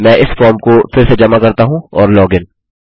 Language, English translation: Hindi, Let me resubmit this form again Oh